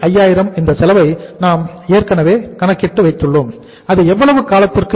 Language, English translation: Tamil, 22,05,000 we have calculated this cost already and it is for how much period of time